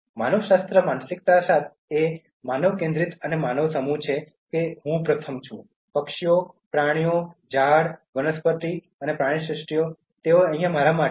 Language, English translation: Gujarati, Anthropocentric mindset is human centered mind set that I am first, the birds and animals and all trees, the flora and fauna they are here for me